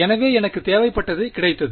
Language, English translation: Tamil, So, I have got what I wanted